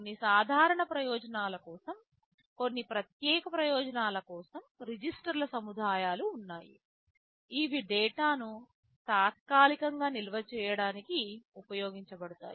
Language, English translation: Telugu, There are a set of registers, some are general purpose some are special purpose, which are used for temporary storage of data